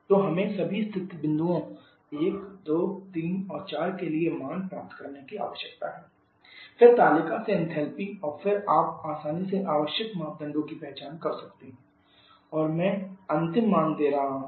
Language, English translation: Hindi, So, we need to get the values for all the state points 1, 2, 3 and 4 then the enthalpy from the table and then you can easily identify the required parameters and I am giving the final value COP for this case will be equal to 3